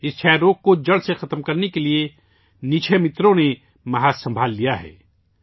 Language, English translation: Urdu, To eliminate tuberculosis from the root, Nikshay Mitras have taken the lead